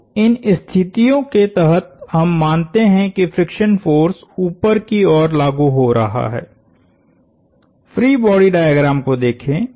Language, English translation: Hindi, So, under these conditions, we assume the friction force acts upwards, look at the free body diagram